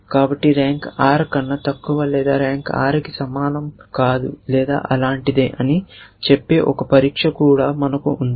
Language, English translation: Telugu, So, we even have a test which says that the rank is less than r or rank not equal to r or something like, things like that essentially